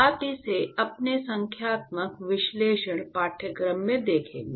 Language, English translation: Hindi, You will see this in your numerical analysis course